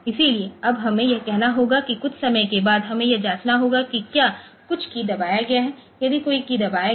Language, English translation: Hindi, So, on now we have to now say after some time we have to check that whether some key has been pressed, if any key has been pressed